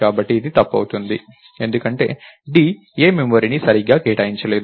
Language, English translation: Telugu, So, this would be a this would be wrong, because d is not allocated any memory right